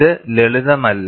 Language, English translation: Malayalam, It is not a simple task